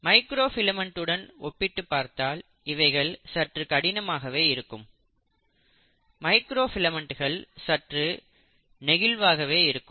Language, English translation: Tamil, So compared to microfilament these are a little more rigid, but then microfilaments are far more flexible